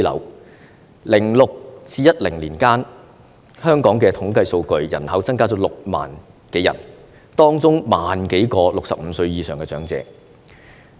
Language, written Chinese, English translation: Cantonese, 2006年至2010年間，香港的統計數據，人口增加了6萬多人，當中1萬多名是65歲以上的長者。, According to the statistics in Hong Kong during the period from 2006 to 2010 the population has increased by over 60 000 people and among them over 10 000 were the elderly over the age of 65